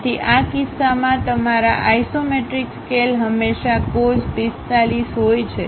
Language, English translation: Gujarati, So, your isometric scale always be cos 45 by cos 30 in this case